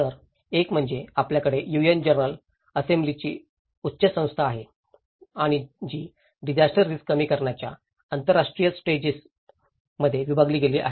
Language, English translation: Marathi, So, one is you have the higher body of the UN General Assembly and which is further divided into international strategy of disaster risk reduction ISDR